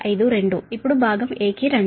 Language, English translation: Telugu, now come to the part a